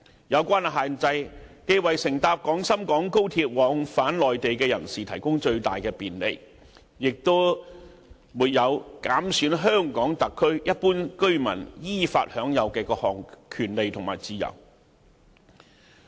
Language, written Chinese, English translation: Cantonese, 有關限制既為乘搭廣深港高鐵往返內地的人士提供最大便利，亦沒有減損香港特區一般居民依法享有的各項權利和自由。, It offers maximum convenience to those who travel to and from the Mainland by XRL and will not undermine the rights and freedoms enjoyed by residents of the HKSAR in accordance with the law